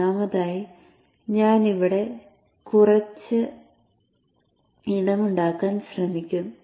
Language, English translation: Malayalam, First of all, I will try to make some space here